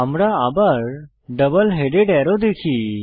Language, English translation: Bengali, We see a double headed arrow